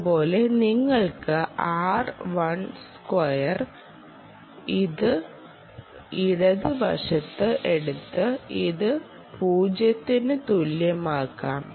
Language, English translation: Malayalam, ah, we can take that and make it equal to zero